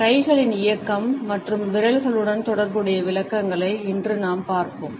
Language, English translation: Tamil, Today we would look at the interpretations associated with the movement of hands as well as fingers